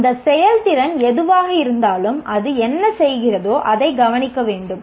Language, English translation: Tamil, Whatever that performance, whatever that is doing should be observable